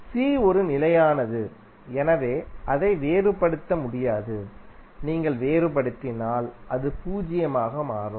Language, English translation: Tamil, C is a constant, so they cannot differentiate, if you differentiate it will become zero